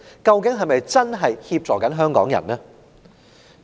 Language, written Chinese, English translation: Cantonese, 究竟是否真正協助香港人呢？, Does it offer genuine help to Hong Kong people?